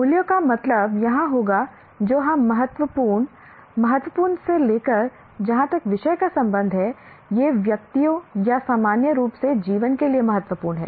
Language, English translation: Hindi, Values would mean here what we consider important, important to as for a subject is concerned or to individuals or to life in general